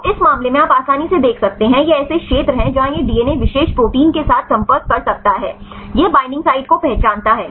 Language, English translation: Hindi, So, in this case you can easily see these are the regions where this DNA can contact with the particular protein right this is identify the binding site fine